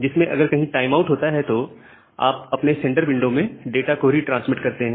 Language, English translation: Hindi, Where, if there is a time out, then you retransmit all the data which is there, inside your sender window